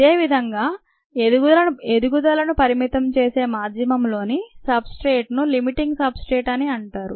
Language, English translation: Telugu, similarly, the substrate in the medium that limits growth is called the limiting substrate